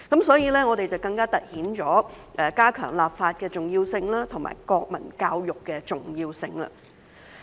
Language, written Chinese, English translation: Cantonese, 所以，更加凸顯了我們加強立法和推行國民教育的重要性。, Therefore it is all the more important for us to strengthen legislation and promote national education